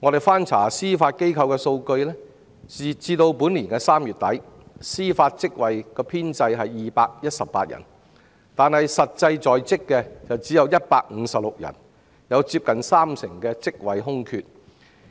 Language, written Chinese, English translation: Cantonese, 翻查司法機構的數據，截至本年3月底，司法職位編制共有218人，但實際在職的只有156人，有接近三成的職位空缺。, According to the figures of the Judiciary as at the end of March this year the establishment of JJOs was 218 . Compared to the strength of 156 the vacancy rate was nearly 30 %